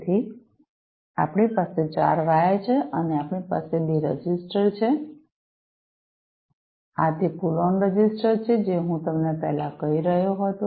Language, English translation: Gujarati, So, we have 4 wires and we have 2 registers, these are those pull on registers, that I was telling you earlier